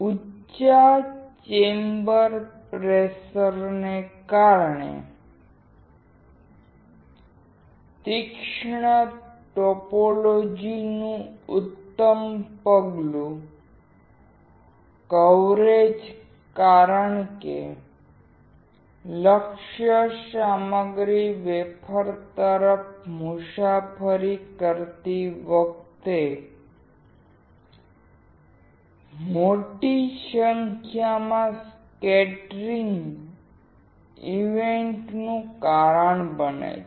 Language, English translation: Gujarati, Excellent step coverage of the sharp topologies because of high chamber pressure causing a large amount of scattering events as target materials travels towards the wafers